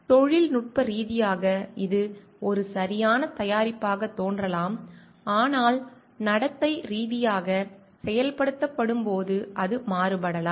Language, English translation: Tamil, Technically it may seem a perfect product, but it might vary when executed behaviourally